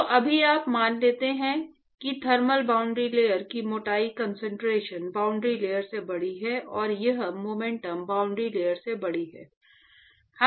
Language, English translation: Hindi, So, right now you assume that the thermal boundary layer thickness is larger than the concentration boundary layer and that is larger than the momentum boundary layer